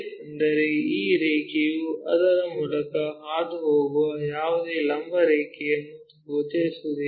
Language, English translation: Kannada, That means, this line is not visible whatever the vertical line passing through that